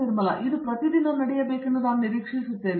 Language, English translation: Kannada, I would expect that this should happen every day